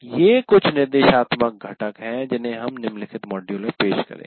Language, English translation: Hindi, These are some of the instructional components which we will deal with in the following module